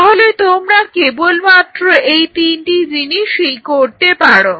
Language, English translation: Bengali, There only three things you can do